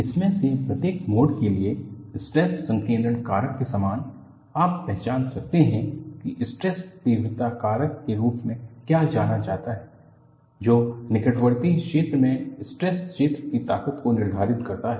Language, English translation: Hindi, For each of these modes, similar to the stress concentration factor, you could identify what is known as a stress intensity factor, which dictates the strength of the stress field in the near vicinity